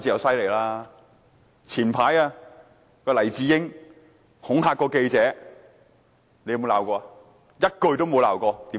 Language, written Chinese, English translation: Cantonese, 早前黎智英恐嚇記者，她有沒有譴責？, Did she reprimand Jimmy LAI for threatening a reporter earlier?